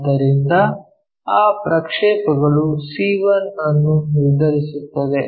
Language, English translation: Kannada, So, that projection determines our c 1